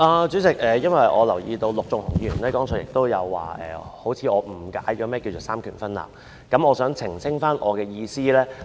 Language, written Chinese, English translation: Cantonese, 主席，我留意到陸頌雄議員剛才指我似乎誤解了何謂"三權分立"，所以我想澄清我的意思。, President as I notice that Mr LUK Chung - hung has just pointed out that I seem to have misunderstood the meaning of separation of powers I wish to elucidate it